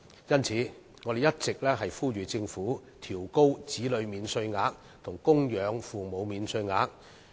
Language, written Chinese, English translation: Cantonese, 因此，我們一直呼籲政府應調高子女免稅額及供養父母免稅額。, Hence we have all along been urging the Government to increase the child allowance and the dependent parent allowance